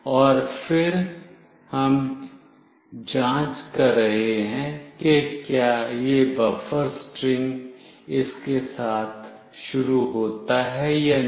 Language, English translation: Hindi, And then we are checking if this buffer string starts with this or not